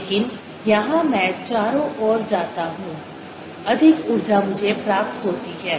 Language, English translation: Hindi, but here i go around more, more is the energy that i gain